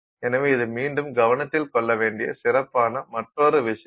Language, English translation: Tamil, So, this is again another thing that he highlights